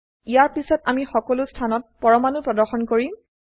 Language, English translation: Assamese, Next I will display atoms on all positions